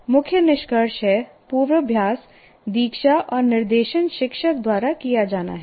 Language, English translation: Hindi, The main conclusion is the rehearsal, initiation and direction is that by the teacher